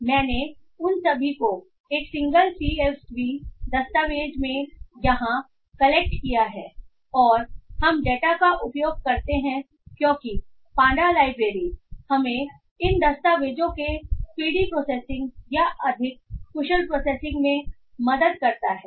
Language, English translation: Hindi, So I have collected all of them together into a single CSV document here and we use a data science library pandas that helps us in speedy processing of these or more efficient processing of these documents